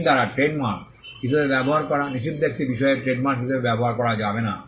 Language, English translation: Bengali, A matter prohibited by law to be used as trademark cannot be used as a trademark